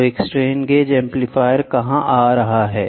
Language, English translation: Hindi, So, where is a strain gauge amplifier coming